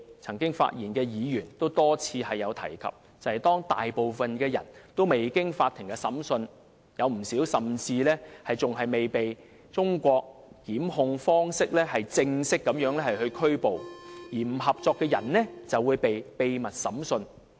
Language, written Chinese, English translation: Cantonese, 曾經發言的議員也多次提及，當中大部分人未經法庭審判，有不少甚至尚未按照中國的檢控方式正式扣捕，而不合作的人就會被秘密審訊。, Members who spoke earlier also pointed out that the great majority of them had not been put on trial and many of them had not even been formally arrested and detained according to the Chinese way of instituting prosecution . Those who refuse to cooperate would be tried secretly